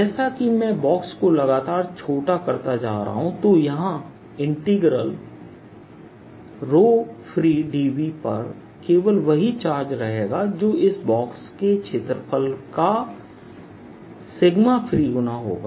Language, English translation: Hindi, as i make box smaller and smaller, the only charge i that will be left here will be sigma free times the area of this box